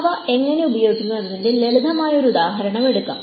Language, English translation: Malayalam, Let us take a simple example of how we use them